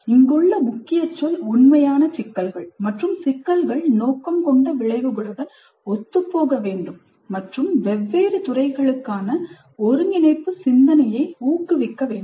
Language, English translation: Tamil, The key word here is authentic problems and problems must be compatible with the intended outcomes and encourage cross discipline thinking